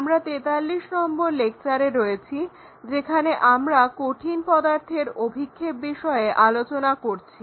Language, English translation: Bengali, We are at lecture number 42 learning about Projection of Solids